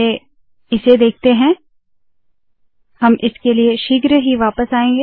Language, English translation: Hindi, First lets see this, we will come back to this shortly